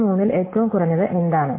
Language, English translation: Malayalam, What is the minimum of these three